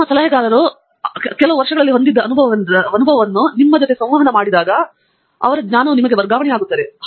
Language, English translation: Kannada, The kind of experience that your advisor has had over the years is something that is getting transferred to you when you have that interaction